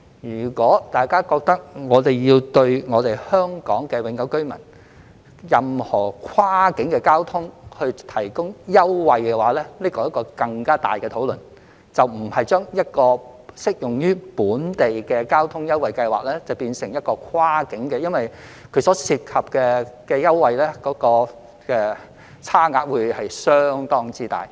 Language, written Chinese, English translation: Cantonese, 如果大家覺得政府也要為香港永久居民使用任何跨境交通提供優惠，這涉及更大的討論，而不是將一項只適用於本地交通的優惠計劃變成一項跨境優惠計劃，因為所涉及的優惠差額會相當大。, If Members think that the Government should also provide concessions for Hong Kong permanent residents using cross - boundary transport a more extensive discussion will be involved . This is not simply changing a concession scheme of local transport into a concession scheme of cross - boundary transport because the differential fares will be considerably large